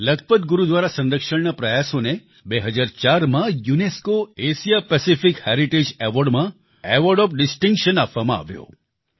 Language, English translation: Gujarati, The restoration efforts of Lakhpat Gurudwara were honored with the Award of Distinction by the UNESCO Asia Pacific Heritage Award in 2004